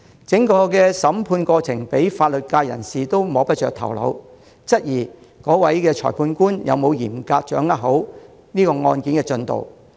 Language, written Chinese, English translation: Cantonese, 整個審判過程連法律界人士也摸不着頭腦，質疑該裁判官有否嚴格掌握案件的進度。, The legal professionals are perplexed by the entire trial proceedings and they questioned whether the Magistrate has strictly controlled the progress of the case